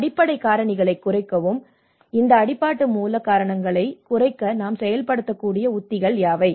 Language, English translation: Tamil, Reduce the underlying factors; what are the strategies that we can implement to reduce these underlying root causes